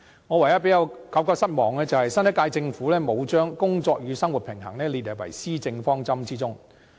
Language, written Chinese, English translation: Cantonese, 我唯一感到失望的，就是新一屆政府沒有將"工作與生活平衡"列入施政方針中。, My only disappointment is that the new Government has failed to incorporate work - life balance into its Policy Objectives